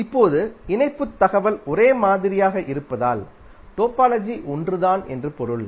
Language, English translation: Tamil, Now since connectivity information is same it means that topology is same